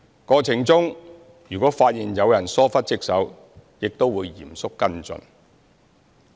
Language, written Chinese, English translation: Cantonese, 過程中如果發現有人疏忽職守，亦會嚴肅跟進。, In case of dereliction of duty on the part of any party as identified in the process it will also be followed up seriously